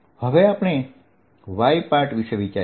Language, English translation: Gujarati, let us look at the y direction